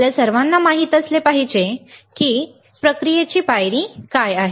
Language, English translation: Marathi, We should all know let us see, what are the process step